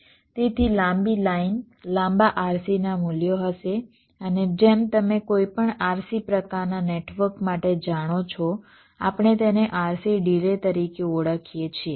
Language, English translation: Gujarati, so longer the line, longer will be the values of rc and, as you know, for any rc kind of a network we refer to as it as rc delay